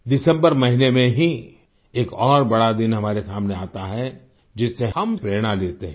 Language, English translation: Hindi, In the month of December, another big day is ahead of us from which we take inspiration